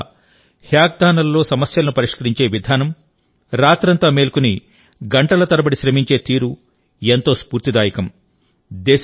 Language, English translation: Telugu, The way our youth solve problems in hackathons, stay awake all night and work for hours, is very inspiring